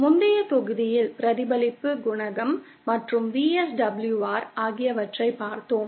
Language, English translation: Tamil, In the previous module we had covered the concept of reflection coefficient and VSWR